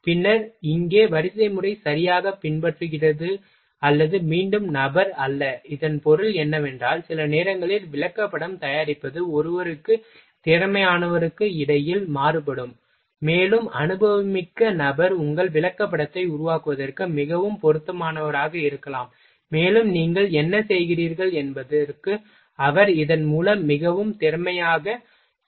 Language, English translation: Tamil, Then sequence here sequence is followed properly or not again person, and means by which because sometimes chart preparation is varied between person to person skilled, and experienced person may be more suitable for your making a chart, and he will make more efficiently means by which and what for what means you are making this chart